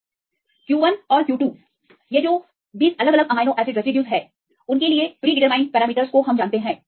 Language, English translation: Hindi, So, q 1 and q 2 we know the predetermined parameters for 20 different amino acid residues